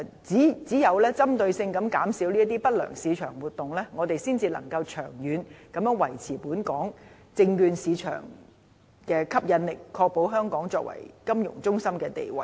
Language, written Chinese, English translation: Cantonese, 只有針對性地減少不良市場活動，我們才能夠長遠地維持本港證券市場的吸引力，確保香港作為金融中心的地位。, Only by targeting on minimizing market malpractices can Hong Kongs securities market maintain its attractiveness in order to safeguard Hong Kongs status as a financial centre